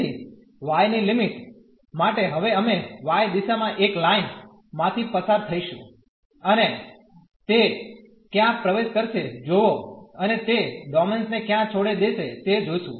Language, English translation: Gujarati, So, for the limit of y, now we will go through a line in the y direction and see where it enters and where it leaves the domain